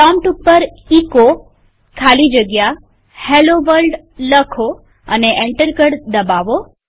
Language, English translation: Gujarati, Type at the prompt echo space Hello World and press enter